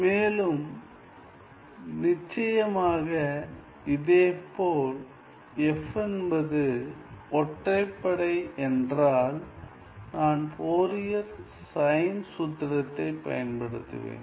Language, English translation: Tamil, So, if I have that f is an even function, then the natural choice is to use the Fourier cosine formula